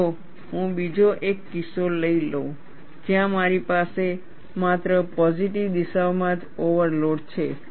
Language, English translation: Gujarati, Then, we take another case, where I have an overload only in the positive direction